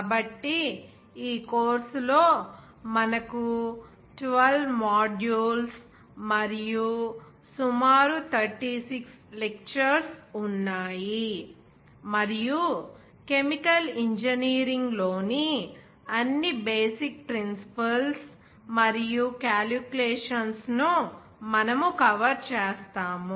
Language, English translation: Telugu, So in this course, we have 12 modules and around 36 lectures, and we will cover all the basic principles and calculations in chemical engineering or successively